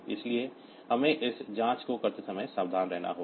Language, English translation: Hindi, So, we have to be careful while doing this check